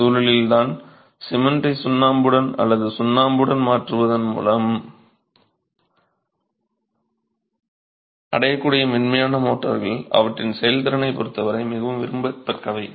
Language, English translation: Tamil, And it is in this context that the softer motors possibly achieved with the use of replacing cement with lime or just with lime are much more desirable as their performance is concerned